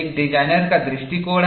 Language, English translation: Hindi, There is a designers' approach